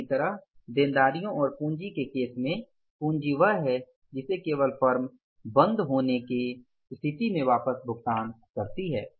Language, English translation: Hindi, Similarly in case of the liabilities and capital capital is the one which only can be paid back in case of the closer of the firm